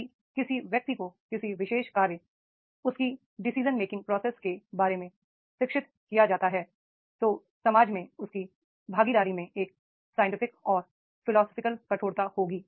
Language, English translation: Hindi, If a person is educated, he will do any particular act, his decision making process, his participation in the society that will make a scientific and philosophical rigor will be there